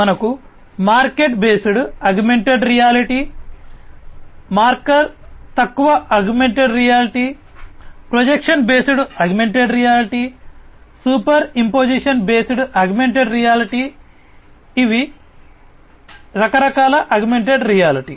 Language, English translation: Telugu, We have marker based augmented reality, marker less augmented reality, projection based augmented reality, superimposition based augmented reality these are some of these different types of augmented reality